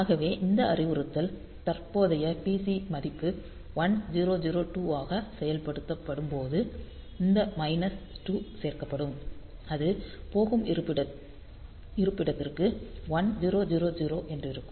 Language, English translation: Tamil, So, that when this instruction is executed with the current PC value is 1002 with that this minus 2 will be added and it will be going to location 1000